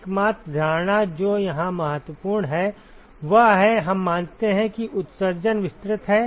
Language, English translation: Hindi, The only assumption, which is important here is that; we assume that the emission is diffuse